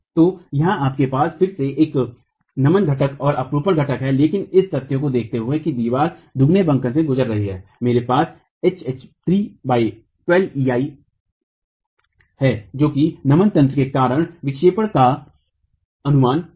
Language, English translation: Hindi, So here again you have a flexual component in the shear component but given the that the wall is undergoing double bending, I have H cube by 12EI as the estimate of the deflection into H would be the estimate of the deflection due to flexual mechanism